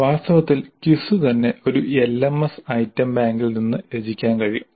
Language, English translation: Malayalam, In fact the quiz itself can be composed from the item bank by an LMS